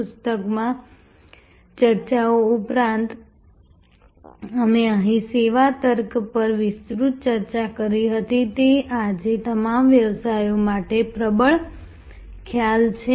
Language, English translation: Gujarati, In addition to the discussions in the book, we had an extensive discussion here on service logic; that is the dominant concept for all businesses today